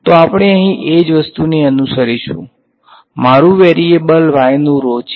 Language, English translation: Gujarati, So, we will follow the same thing over here my variable is rho of y